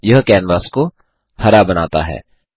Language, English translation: Hindi, This makes the canvas green in color